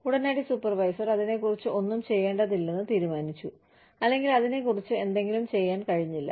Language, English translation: Malayalam, The immediate supervisor has decided, not to do, anything about it, or, has not been able to do, something about it